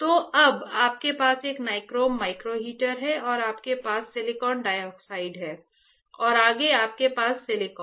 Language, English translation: Hindi, So, now, you have a nichrome micro heater and you have silicon dioxide and further you have silicone correct